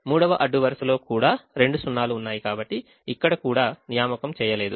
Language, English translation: Telugu, now the second row had at that point two zeros, so we did not make an assignment